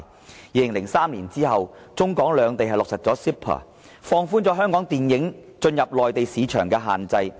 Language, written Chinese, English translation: Cantonese, 自2003年起，中港兩地落實 CEPA， 放寬香港電影進入內地市場的限制。, In 2003 Hong Kong and China signed the MainlandHong Kong Closer Economic Partnership Arrangement CEPA under which the restrictions on the entry of Hong Kong films into the Mainland market were relaxed